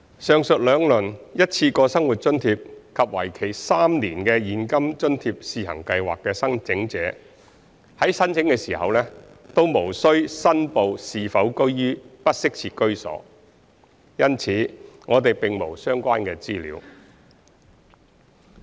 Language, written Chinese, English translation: Cantonese, 上述兩輪一次過生活津貼及為期3年的現金津貼試行計劃的申請者在申請時均無需申報是否居於"不適切"的居所，因此我們並沒有相關的資料。, In the two rounds of one - off living subsidy and the three - year CATS mentioned above applicants are not required to declare if they reside in inadequate housing during application . As such we do not have the relevant information